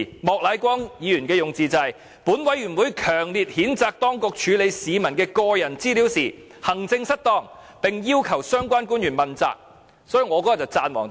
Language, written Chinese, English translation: Cantonese, 莫乃光議員的用字是："本委員會強烈譴責當局處理市民的個人資料時行政失當，並要求相關官員問責"。, Mr Charles Peter MOK on the other hand used this wording this Panel strongly condemns the authorities for maladministration in handling the personal data of members of the public and requests that the relevant officials be held accountable for the incident